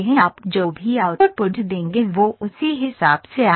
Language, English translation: Hindi, Whatever input you give the output will come accordingly